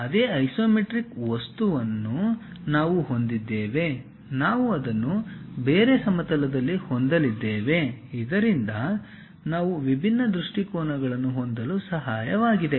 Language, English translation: Kannada, So, the same isometric object what we have it; we are going to have it in different plane, so that we will be having different views